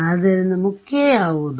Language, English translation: Kannada, So, what will be the key